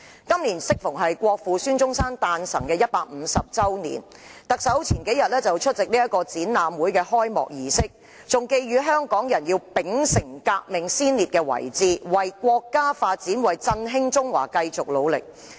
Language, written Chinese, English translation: Cantonese, 今年適逢國父孫中山誕辰150周年，特首數天前出席展覽會的開幕儀式，還寄語香港人要秉承革命先烈的遺志，為國家發展、振興中華繼續努力。, This year marks the 150 anniversary of the birth of Dr SUN Yat - sen the Father of Modern China . The Chief Executive attended the opening ceremony of an exhibition a few days ago . He called on Hong Kong people to adhere to the unfulfilled aspiration of the revolutionary vanguard and continue to contribute to national development and the revitalization of the Chinese nation